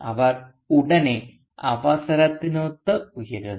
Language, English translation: Malayalam, And they almost immediately rise to the occasion